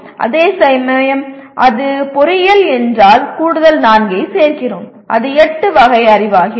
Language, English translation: Tamil, Whereas if it is engineering we are adding additional 4 and it becomes 8 categories of knowledge